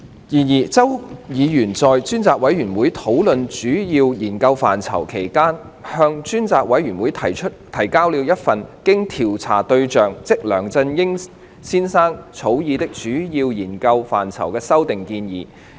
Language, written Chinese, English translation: Cantonese, 然而，周議員在專責委員會討論主要研究範疇期間，向專責委員會提交了一份經調查對象草擬的主要研究範疇的修訂建議。, However when the Select Committee met to discuss its proposed major areas of study Mr CHOW submitted a document with amendments edited by the subject of inquiry